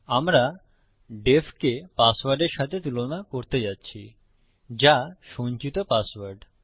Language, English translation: Bengali, Were going to compare the password to def, which is the stored password